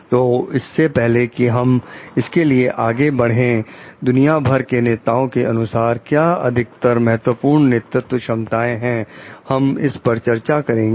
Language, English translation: Hindi, So, before we go for that, we will discuss the most important leadership competencies according to the leaders around the world